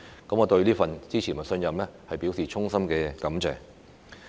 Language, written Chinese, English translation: Cantonese, 我對於這份支持和信任，表示衷心感謝。, I wish to express my heartfelt gratitude for this support and trust